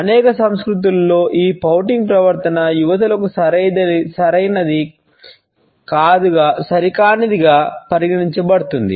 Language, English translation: Telugu, In many cultures, we would find that pouting behaviour is considered to be appropriate for young girls and in appropriate for young boys